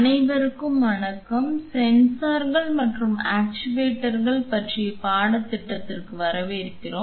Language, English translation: Tamil, Hello everyone, welcome to the course on sensors and actuators